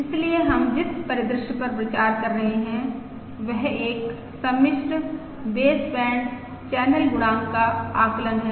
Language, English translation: Hindi, remember, this is the estimate of the complex baseband channel coefficient